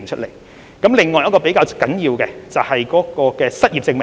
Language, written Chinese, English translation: Cantonese, 另一項較為重要的措施，是關於失業證明。, Another rather important measure concerns unemployment proof